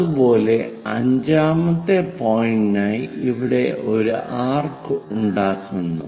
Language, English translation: Malayalam, Similarly, fifth point make an arc here